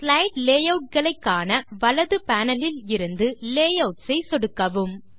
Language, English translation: Tamil, To view the slide layouts, from the right panel, click Layouts